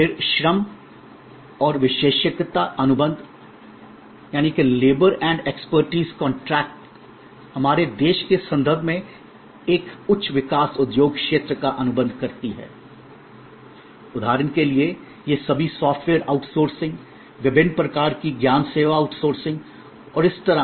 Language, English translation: Hindi, Then, labor and expertise contracts highly, a high growth industry area in the context of our country, for example, all these software outsourcing, different kind of knowledge service outsourcing and so on